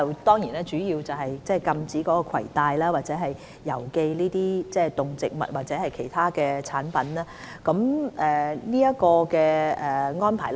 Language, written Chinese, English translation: Cantonese, 現時我們主要是針對禁止攜帶或郵寄動植物或其他產品的安排。, At present we mainly focus on the restriction on the carrying or posting of animals and plants or other products